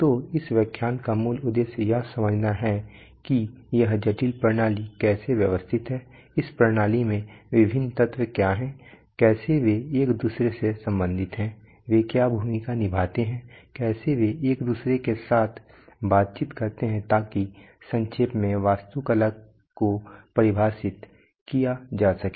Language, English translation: Hindi, So that is the basic purpose of this lecture to understand the how this complex system is organized, how, what are the various elements in the system how they relate to each other what roles they perform how they interact with each other so that in short defines the architecture, so having said that